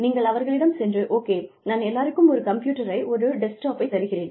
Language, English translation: Tamil, You can say, okay, I will give everybody, a computer, a desktop